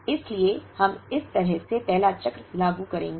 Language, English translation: Hindi, So, we will implement the first cycle by doing this way